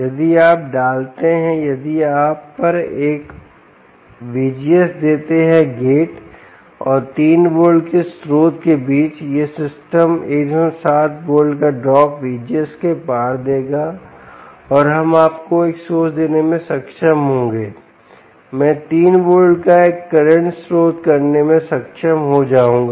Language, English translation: Hindi, if you put, if you give a v g s of at the gate to the source, between the gate and the source, of three volts, this system will give you a drop of one point seven volts across v d s, and we will be able to give you a source